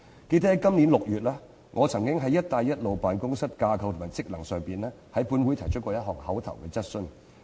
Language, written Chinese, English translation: Cantonese, 記得在今年6月，我曾就"一帶一路"辦公室的架構和職能，在本會提出過一項口頭質詢。, I still recollect that in June this year I raised an oral question on the structure and functions of the Belt and Road Office in this Council